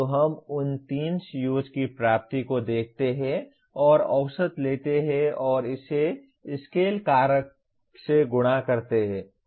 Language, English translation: Hindi, So we look at the attainment of those 3 COs and take an average and multiply it by the, a scale factor